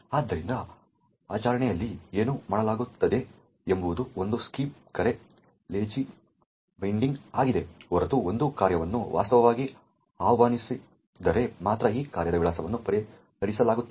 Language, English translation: Kannada, Therefore, what is done in practice is a scheme call Lazy Binding unless a function is actually used only then will the address of that function will be resolved